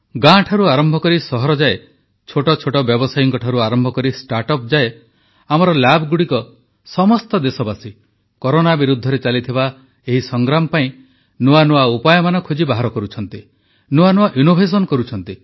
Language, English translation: Odia, A multitude of countrymen from villages and cities, from small scale traders to start ups, our labs are devising even new ways of fighting against Corona; with novel innovations